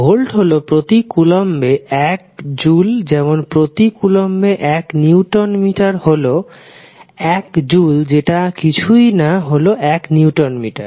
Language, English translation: Bengali, 1 volt is nothing but 1 joule per coulomb that is nothing but 1 newton metre per coulomb because 1 joule is nothing but 1 newton metre